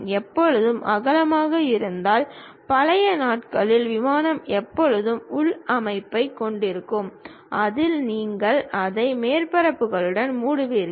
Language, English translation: Tamil, Because, there always be internal, the olden days aircraft always be having internal structure; on that you will be covering it with surfaces